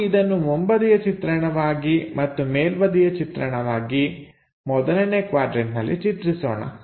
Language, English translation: Kannada, Let us draw it as a front view and top view in the first quadrant